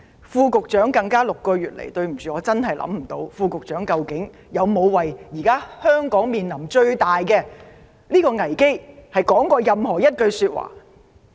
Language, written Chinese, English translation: Cantonese, 副局長——抱歉，我想不起他們在過去6個月就香港當前面臨的最大危機有說過一句話。, As for the Under Secretaries―sorry I cannot recall any one of them saying a word in the past six months about the greatest crisis facing Hong Kong